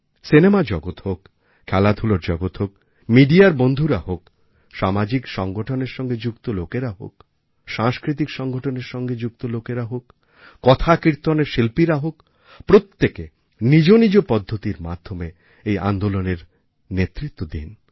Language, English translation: Bengali, Whether it be from the world of films, sports, our friends in the media, people belonging to social organizations, people associated with cultural organizations or people involved in conducting devotional congregations such as Katha Kirtan, everyone should lead this movement in their own fashion